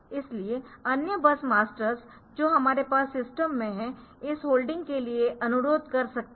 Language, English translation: Hindi, So, other bus masters that we have in the system they can request for this holding